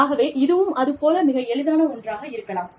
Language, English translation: Tamil, So, it could be something, as simple as that